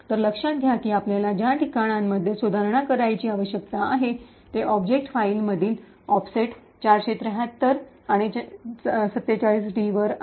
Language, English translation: Marathi, So, notice that the locations which we need to modify is at an offset 473 and 47d in the object file